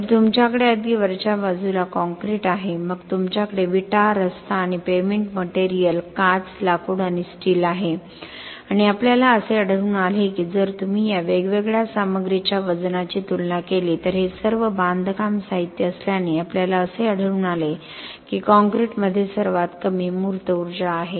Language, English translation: Marathi, So you have concrete right at the top then you have bricks, road and payment materials, glass, wood and steel and we find that if you compare a unit weight of this different materials all of this being construction materials we find that concrete has the least embodied energy